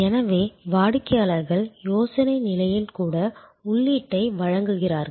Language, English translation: Tamil, So, customers provide input, even at the idea stage